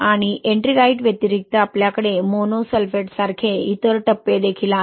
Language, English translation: Marathi, And in addition to Ettringite, you have other phases like mono sulphate also, right